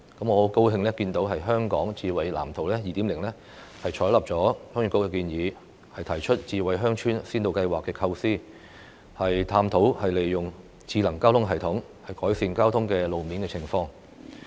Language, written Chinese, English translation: Cantonese, 我很高興看到《香港智慧城市藍圖 2.0》採納了鄉議局的建議，提出智慧鄉村先導計劃的構思，探討利用"智能交通系統"改善路面交通情況。, I am happy to see that Smart City Blueprint for Hong Kong 2.0 has adopted the Heung Yee Kuks proposal by putting forward the smart village pilot initiatives so as to examine the use of intelligent transport system to improve road conditions